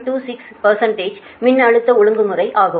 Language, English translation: Tamil, that is the voltage regulation